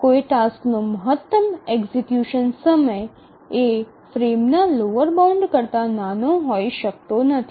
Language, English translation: Gujarati, So, the maximum execution time of a task that is the lower bound for the frame